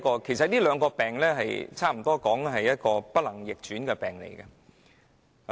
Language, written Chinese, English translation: Cantonese, 其實，這兩個病差不多可說是不能逆轉。, These two diseases can actually be described as irreversible